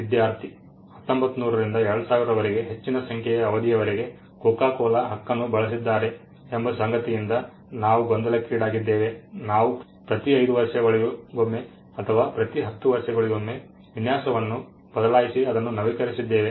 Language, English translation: Kannada, Student: in case we too confusing coco cola with a large number of right from 1900 to 2000, we have changed this quite updated on every 10 years every 5 years we changes design